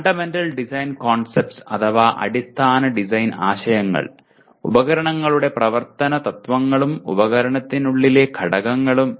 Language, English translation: Malayalam, Fundamental Design Concepts operational principles of devices and components within a device